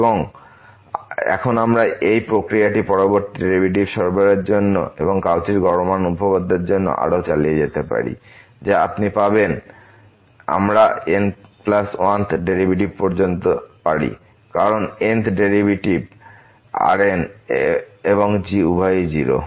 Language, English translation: Bengali, And now we can continue this process further for the next derivative supplying this Cauchy's mean value theorem further what you will get we can go up to the plus 1th derivative because, up to n th derivative and both are 0